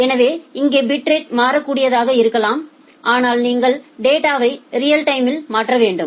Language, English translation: Tamil, So, here the bit rate can be variable, but you need to transfer the data in real time